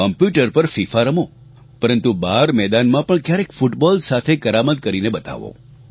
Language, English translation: Gujarati, Play FIFA on the computer, but sometimes show your skills with the football out in the field